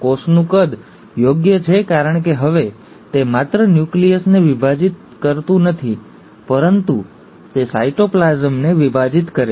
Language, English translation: Gujarati, The cell size is appropriate because now, it has not only divide the nucleus, it has divide the cytoplasm